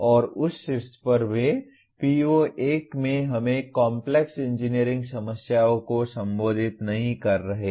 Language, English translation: Hindi, And on top of that even in PO1 we are not addressing Complex Engineering Problems